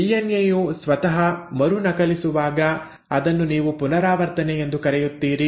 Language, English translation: Kannada, When a DNA is re copying itself this is what you call as replication